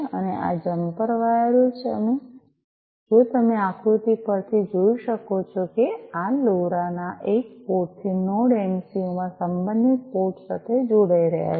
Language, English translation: Gujarati, And these jumper wires if you can see from the figure are connecting from one port of this LoRa to the corresponding port in the Node MCU